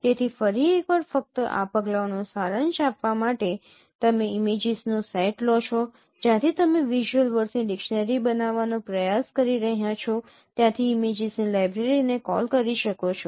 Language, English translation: Gujarati, So once again just to summarize these steps that you take a set of images which you can call a library of images from where you are trying to form a dictionary of visual words